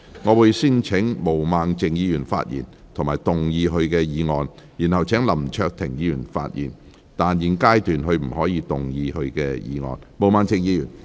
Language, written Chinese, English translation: Cantonese, 我會先請毛孟靜議員發言及動議她的議案，然後請林卓廷議員發言，但他在現階段不可動議他的議案。, I will first call upon Ms Claudia MO to speak and move her motion . Then I will call upon Mr LAM Cheuk - ting to speak but he may not move his motion at this stage